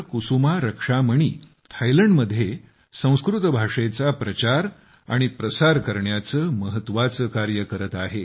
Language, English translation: Marathi, Kusuma Rakshamani, both of them are playing a very important role in the promotion of Sanskrit language in Thailand